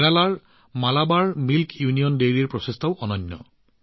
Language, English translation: Assamese, The effort of Malabar Milk Union Dairy of Kerala is also very unique